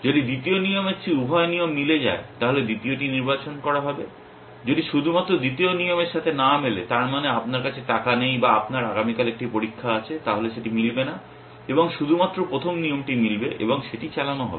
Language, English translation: Bengali, If both rule matches than the second rule would be selected, if only if the second rule does not match that means you do not have money, or you have an exam tomorrow then that will not match and then only the first rule will match and that will execute